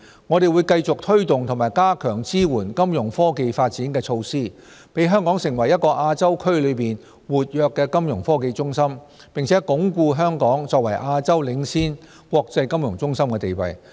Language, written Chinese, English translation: Cantonese, 我們會繼續推動和加強支援金融科技發展的措施，讓香港成為一個亞洲區內活躍的金融科技中心，並鞏固香港作為亞洲領先國際金融中心的地位。, We will continue to implement and enhance the support of measures for promoting Fintech development to enable Hong Kong to become an active Fintech hub in Asia and reinforce Hong Kongs position as a leading financial centre in Asia